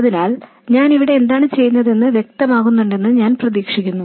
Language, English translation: Malayalam, So I hope it's clear what I am doing here